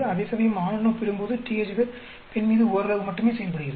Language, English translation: Tamil, Whereas, THZ is acting only marginally on female, when compared to male